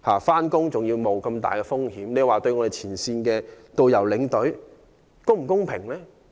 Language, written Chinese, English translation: Cantonese, 冒着如此巨大的風險上班，對前線的導遊、領隊是否公平？, Is it fair to ask frontline tourist guides and tour escorts to take such a big risk at work?